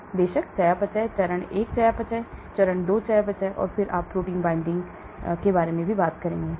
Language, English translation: Hindi, Then of course , the metabolism, phase 1 metabolism, phase 2 metabolism and then you could also have proteins binding